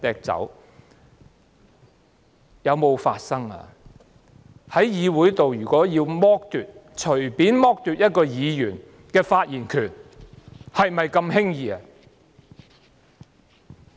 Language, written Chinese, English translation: Cantonese, 在議會內隨便剝奪一個議員的發言權，是否那麼輕易的呢？, Is it so easy to casually deprive a Member of his right to speak in the legislature?